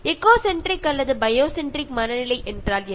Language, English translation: Tamil, What is eco centric or bio centric mind set